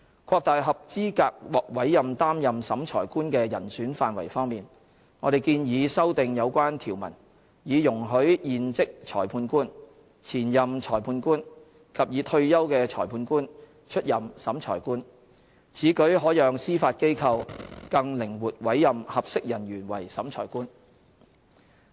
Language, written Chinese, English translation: Cantonese, 擴大合資格獲委任擔任審裁官的人選範圍方面，我們建議修訂有關條文，以容許現職裁判官、前任裁判官及已退休的裁判官出任審裁官，此舉可讓司法機構更靈活委任合適人員為審裁官。, As for broadening the pool of eligible candidates for appointment as Revising Officer we propose amendments be made to the relevant provisions to allow serving former and retired magistrates to serve as Revising Officer . This will give the Judiciary flexibility in the appointment of suitable candidate as Revising Officer